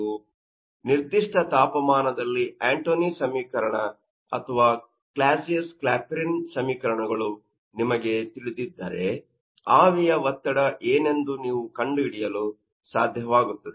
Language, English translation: Kannada, So, if you know that, you know Antoine’s equation or Clausius Clapeyron equation at a particular temperature, you will be able to find out what the vapour pressure